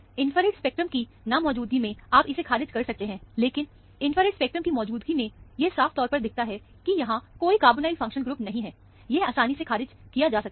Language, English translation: Hindi, In the absence of the infrared spectrum, you cannot rule this out; but in the presence of infrared spectrum, which shows clearly, there is no carbonyl functional group, this can be ruled out very easily